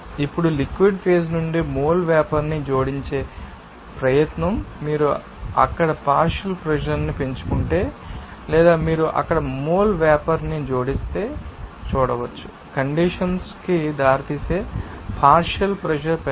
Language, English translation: Telugu, Now, any attempt in adding mole vapor from the liquid phase, if you increase the partial pressure there or you can see if you add mole vapor there, there will be no increase in partial pressure that may lead to the condensation